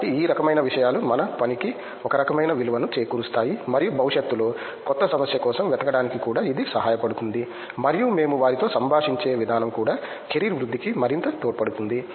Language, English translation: Telugu, So these kind of things will give some kind of value addition to our work and also it will be helpful for us to look for new problem in future and the way we are interacting with them is also very nice for us to further career growth